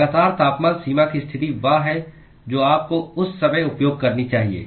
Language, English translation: Hindi, Constant temperature boundary condition is what you should use at that time